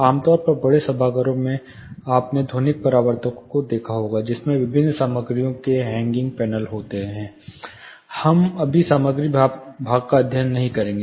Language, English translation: Hindi, Typically in auditoriums larger auditoriums, you would have seen acoustic reflectors there would be hanging panels of different materials we are not getting into that material part right now